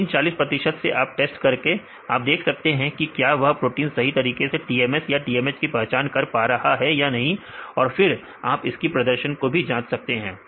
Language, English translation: Hindi, So, we can a get the 40 percent of value data, each protein this 40 percent you can test and then see whether these proteins are also correctly identified as TMS or the TMH then you can evaluate the performance